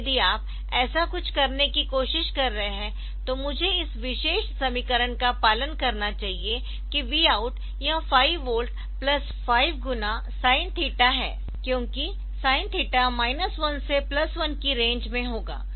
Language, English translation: Hindi, So, if you are trying to do something like this then I should follow this particular equation that the v out is 5 volt plus, 5 into sine theta because sine theta will be in the range of minus 1 to plus 1